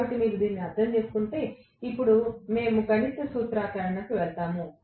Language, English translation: Telugu, So, if you have understood this, now we will go to the mathematical formulation